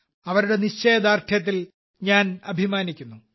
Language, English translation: Malayalam, I am proud of the strength of her resolve